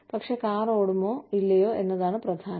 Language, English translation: Malayalam, But, what matters more is, whether the car will run or not